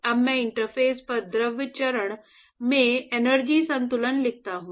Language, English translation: Hindi, Now I write a an energy balance in the fluid phase at the interface